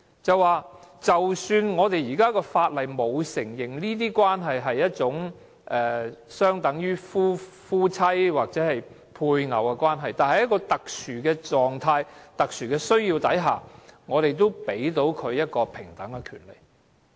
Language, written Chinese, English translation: Cantonese, 即使香港的法例沒有承認這些關係相等於夫妻或配偶的關係，但在特殊的情況、特殊的需要下，我們也給予這些伴侶平等的權利。, Even though Hong Kong laws do not recognize these relationships as equivalent to husband and wife or spouses under special circumstances and for special needs we also give these partners the equal rights